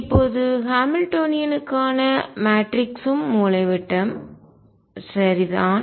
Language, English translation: Tamil, Now the matrix for the Hamiltonian is also diagonal right